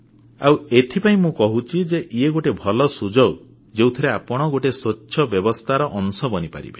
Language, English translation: Odia, And so, this is a good chance for you to become a part of a transparent system